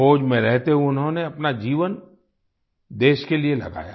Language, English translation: Hindi, While in the army, he dedicated his life to the country